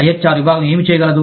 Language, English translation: Telugu, What can the IHR department do